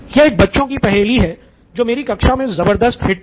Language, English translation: Hindi, This is a kid’s puzzle if you will but has been a tremendous hit in my class